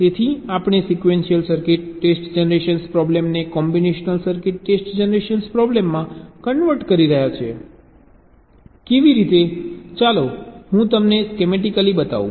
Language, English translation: Gujarati, so we are converting the sequential circuit test generation problem to a combinational circuit test generation problem how